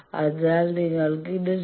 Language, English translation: Malayalam, So, you take this 0